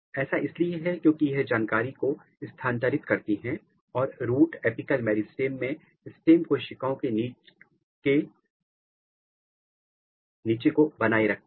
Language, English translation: Hindi, Because, they pass the information they are very important to maintain the stem cell niche in the root apical meristem